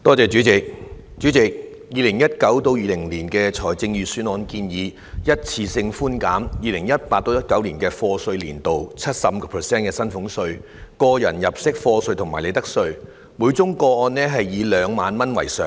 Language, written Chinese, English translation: Cantonese, 主席 ，2019-2020 年度的財政預算案建議一次性寬減 2018-2019 課稅年度 75% 的薪俸稅、個人入息課稅和利得稅，每宗個案以2萬元為上限。, President the 2019 - 2020 Budget proposes one - off reductions of salaries tax tax under personal assessment and profits tax for the year of assessment 2018 - 2019 by 75 % subject to a ceiling of 20,000 per case